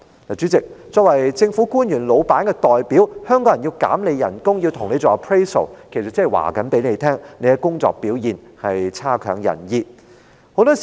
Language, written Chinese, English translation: Cantonese, 主席，作為政府官員老闆的代表，議員代表香港人要削減他的薪酬，要跟他做 appraisal， 其實是要告訴他，他的工作表現差劣。, Chairman as representatives of the bosses of government officials and on behalf of Hong Kong people Members seek to deduct his emoluments and conduct an appraisal on him . In fact this move serves to tell him that his performance is poor